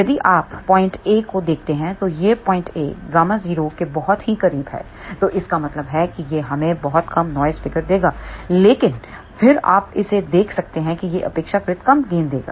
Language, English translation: Hindi, So, if you look at point A, this point A is very very close gamma 0 so that means, this will give us very low noise figure, but then you can see that it will give relatively less gain